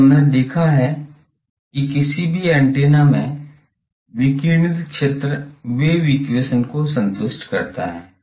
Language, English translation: Hindi, Now we have seen that any antenna, the radiated field satisfies the wave equation